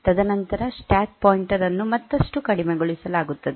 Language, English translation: Kannada, And then stack pointer will be decremented further